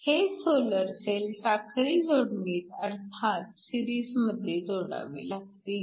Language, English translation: Marathi, So, the solar cells should be connected in series